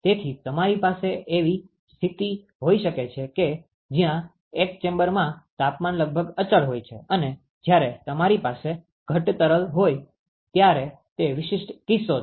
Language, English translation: Gujarati, So, you can have a situation where the temperature is almost constant in the one of the chambers and that is a typical case when you have a condensing fluid